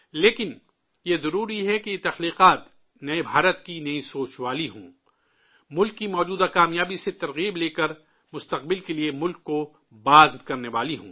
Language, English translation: Urdu, But it is essential that these creations reflect the thought of new India; inspired by the current success of the country, it should be such that fuels the country's resolve for the future